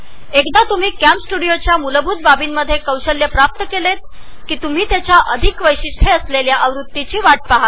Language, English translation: Marathi, Once you have mastered the basics of CamStudio, you may want to watch the next edition on its Advanced Features